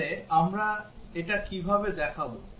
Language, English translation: Bengali, So how do we show that